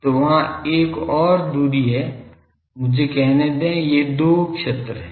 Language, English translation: Hindi, So, there is another distance let me call this there are two regions